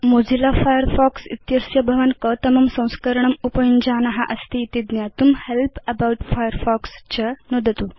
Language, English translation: Sanskrit, To know which version of Mozilla Firefox you are using, click on Help and About Firefox